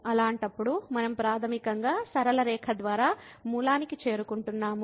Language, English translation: Telugu, In that case we are basically approaching to origin by the straight line